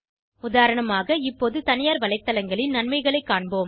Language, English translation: Tamil, For e.g We will now see the advantages of private websites